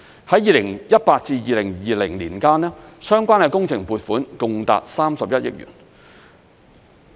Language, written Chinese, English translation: Cantonese, 在2018年至2020年間，相關的工程撥款共達31億元。, A total of 3.1 billion has been allocated for related works projects from 2018 to 2020